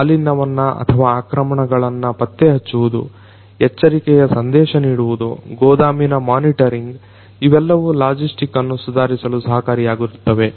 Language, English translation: Kannada, Detection of contamination or attacks, alert notification warehouse monitoring are the different different things that can help improve the logistics